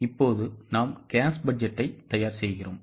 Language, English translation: Tamil, This is how cash budget is to be prepared